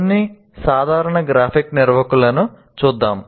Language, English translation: Telugu, Now, let us look at some simple graphic organizer